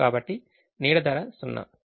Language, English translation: Telugu, the shadow price is zero